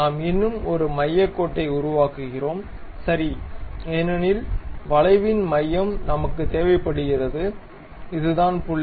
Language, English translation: Tamil, We construct one more center line, ok because we require center of the curve, so this is the point